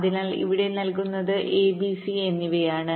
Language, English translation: Malayalam, so here the inputs are a, b, c, so let say so